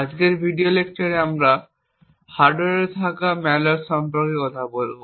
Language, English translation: Bengali, In today's video lecture we would talk about malware which is present in the hardware